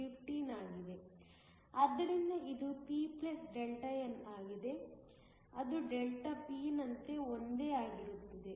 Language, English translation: Kannada, So, it is p + Δn, which is the same as Δp